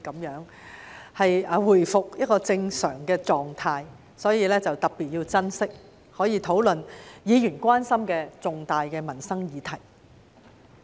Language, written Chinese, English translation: Cantonese, 現在回復正常狀態，故此要特別珍惜這個可以討論議員所關心的重大民生議題的機會。, Now that we are back to normal hence we must particularly cherish this opportunity to discuss some major livelihood issues of Members concern